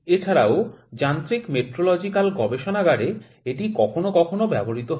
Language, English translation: Bengali, And in mechanical metrological lab it is also used sometimes